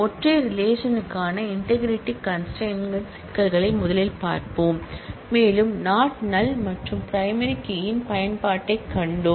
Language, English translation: Tamil, And we will first look at the issues of integrity constraint for a single relation, and we have seen the use of not null and primary key